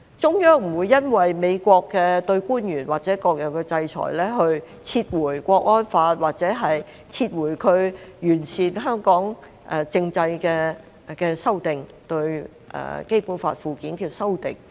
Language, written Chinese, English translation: Cantonese, 中央不會因為美國對官員或各樣的制裁，而撤回《香港國安法》或撤回它完善香港政制的修訂——對《基本法》附件的修訂。, There is simply no way the Central Government will withdraw the Hong Kong National Security Law or the amendments it made to improve Hong Kongs political system―the amendments to the Annexes to the Basic Law―because of the United States sanctions against its government officials or other kinds of sanctions